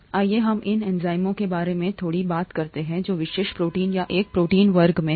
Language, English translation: Hindi, Let us talk a little bit about these enzymes which are specialised proteins or a class of proteins